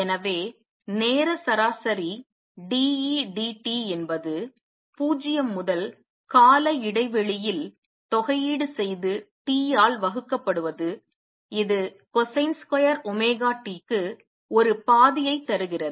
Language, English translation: Tamil, So, time averaged d E d t which is nothing but integrate this from 0 to time period and divided by T gives you a half for cosine square omega T